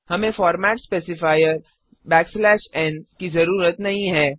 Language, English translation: Hindi, We dont need the format specifier and /n Let us delete them